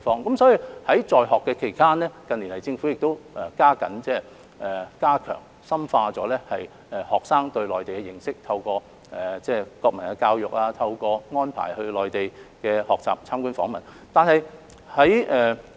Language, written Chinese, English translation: Cantonese, 因此，在他們在學期間，政府近年已加緊加強和深化學生對內地的認識，透過國民教育，安排學生到內地學習及參觀訪問。, Therefore the Government has stepped up its efforts in recent years to enhance and deepen students understanding of the Mainland and through national education arrange study tours and visits to the Mainland